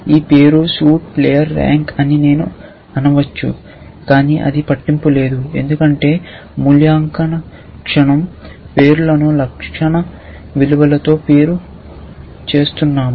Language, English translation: Telugu, I may say that this name, suit, player, rank, but that does not matter because we are segregating the attribute names with the attribute values